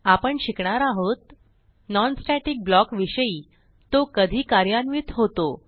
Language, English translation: Marathi, In this tutorial we will learn About non static block When a non static block executed